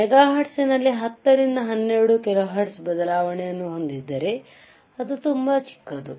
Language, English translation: Kannada, iIn megahertz if I have 10 to 12 hertz change it is very small